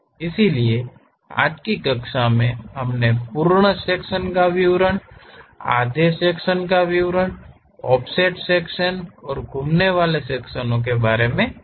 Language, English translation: Hindi, So, in today's class we have learned about full section details, half section, offset section and revolve sections